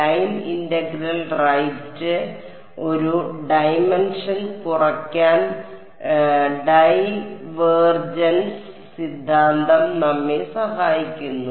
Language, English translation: Malayalam, Line integral right the divergence theorem helps us to reduce one dimension